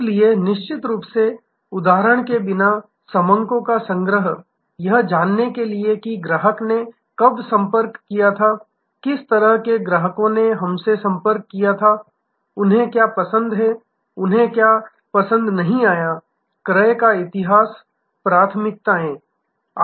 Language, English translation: Hindi, So, of course, without for example, data collection to know when the customer has contacted, what kind of customers contacted us, what they like, what they did not like, the history of purchase, the preferences